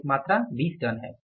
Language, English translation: Hindi, 5 that is 10 tons